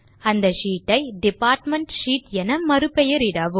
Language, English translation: Tamil, Rename the sheet to Department Sheet